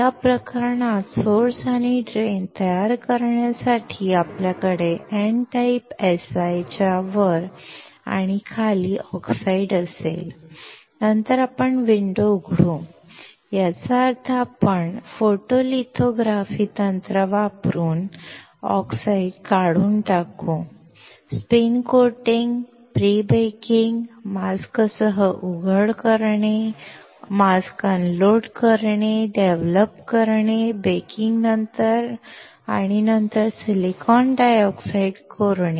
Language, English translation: Marathi, In this case for creating source and drain, we will have the oxide top and bottom of the N type Si and then we will open the window, which means that we will remove the oxide using photolithography technique spin coating, pre baking, exposing with the mask, unloading the mask, developing, post baking and then etching the silicon dioxide